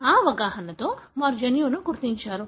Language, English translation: Telugu, So, with that understanding they went on to identify the gene